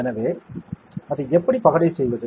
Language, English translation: Tamil, So, how to dice it right